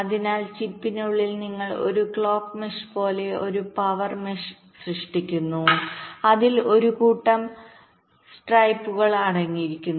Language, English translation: Malayalam, so inside the chip you create a power mesh, just like a clock mesh, consisting of a set of stripes